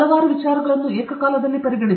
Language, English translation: Kannada, Simultaneous consideration of several ideas